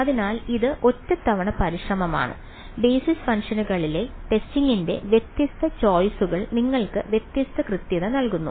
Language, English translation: Malayalam, So, it is a onetime effort anyways different choices of the testing in the basis functions give you different accuracy ok